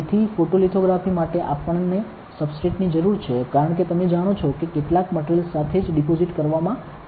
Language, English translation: Gujarati, So, for photolithography, we need a substrate as you will know with deposited with some material